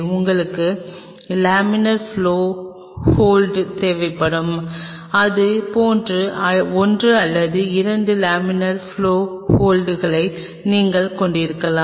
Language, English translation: Tamil, And you will be needing laminar flow hood you can have maybe one or 2 laminar flow hoods like this either